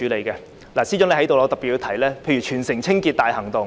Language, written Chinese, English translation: Cantonese, 既然司長在席，我想特別談談全城清潔大行動。, Since the Chief Secretary is here I would like to talk about the Team Clean programme in particular